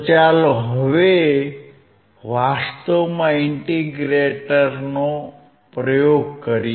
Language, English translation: Gujarati, Let us now actually perform the experiment of integrator right